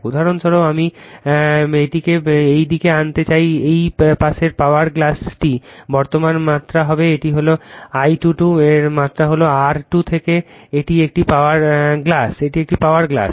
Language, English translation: Bengali, For example, I want to bring this one this side this side my power glass will be the current magnitude this is I 2 square is the magnitude in to R 2 to this is a power glass, right